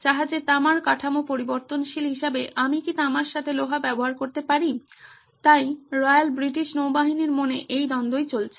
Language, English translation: Bengali, The ships copper hull as the variable, do I use iron with copper, so this is the conflict is going on in the Royal British Navy’s mind,